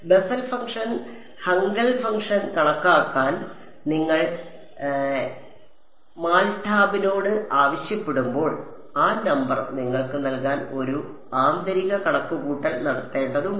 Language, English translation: Malayalam, When you ask MATLAB to compute Bessel function Hankel function, it has to do a internal calculation to give you that number